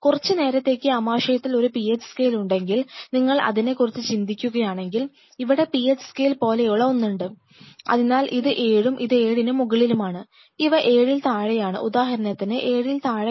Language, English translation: Malayalam, So, for transient period of time if I have a PH scale out in the stomach, if you think of it, something like PH scale here, so, if I say these are this is 7 and this is plus 7 onward; these are my below 7, see for example, less than 7